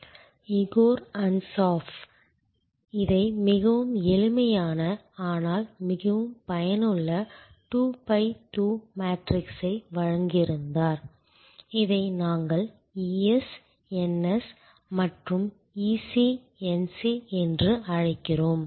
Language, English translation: Tamil, Igor Ansoff had provided this very simple, but very useful 2 by 2 matrix and we call this the so called ES, NS and EC NC